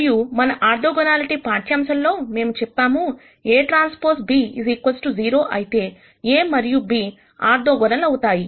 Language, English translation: Telugu, And from our orthogonality lecture we saw before, we said if a transpose b equal to 0, then a and b are orthogonal